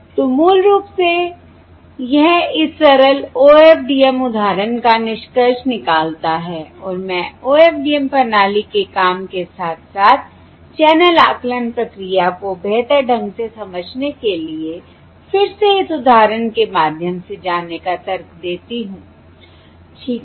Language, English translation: Hindi, all right, So, basically, this concludes this simple OFDM example and I argue to go through again this example to understand the working of the OFDM system as well as the channel estimation process better